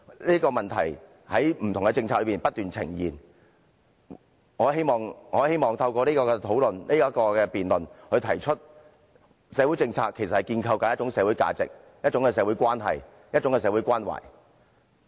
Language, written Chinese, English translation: Cantonese, 這個問題在不同政策中不斷出現，我希望透過今次的辯論提出：社會政策是建構一種社會價值、一種社會關係和一種社會關懷。, This question pops up constantly in the formulation of various policies . I would like to put forth in this debate that Social policies are for the establishment of social values relationship and a caring spirit in society